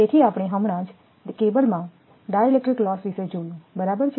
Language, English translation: Gujarati, So, we have just seen that dielectric loss in a cable right